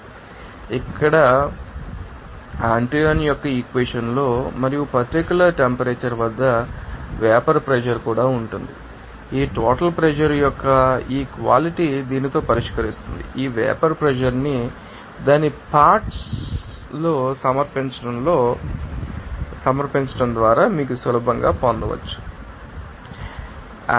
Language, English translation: Telugu, So, here you need to know that only that in Antoine’s equation and also be vapor pressure at that particular temperature that solving this you know equality of this total pressure with this you know that submission of this vapor pusher into its components then you can get easily what will be the bubble point temperature